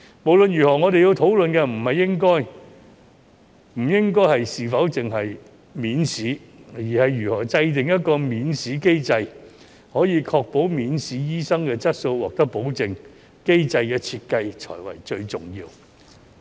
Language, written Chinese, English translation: Cantonese, 無論如何，我們要討論的不應限於是否容許免試，而是如何制訂一個免試機制，確保免試醫生的質素獲得保證，機制的設計才是最重要的。, In any case our discussion should not be limited to whether or not exemptions are allowed but how to formulate an examination - free mechanism to ensure the quality of doctors exempted from examinations . The design of the mechanism is of paramount importance